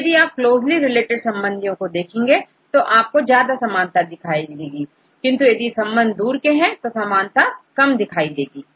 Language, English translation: Hindi, So, if we look the closely related ones, you can see much similarities; when it goes further and further you can see similarities, but less compared with the closely related ones